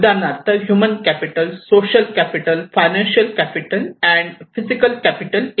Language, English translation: Marathi, One is a human capital, social capital, financial capital and physical capital